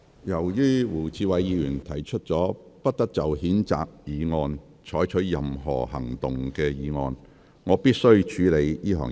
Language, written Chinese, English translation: Cantonese, 由於胡志偉議員提出了不得就譴責議案再採取任何行動的議案，我必須先處理這項議案。, Since Mr WU Chi - wai has proposed a motion that no further action shall be taken on the censure motion I must deal with his motion on a priority basis